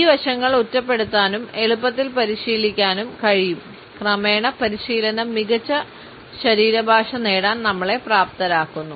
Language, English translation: Malayalam, These aspects can be singled out and can be practiced easily and gradually we find that practice enables us to have a better body language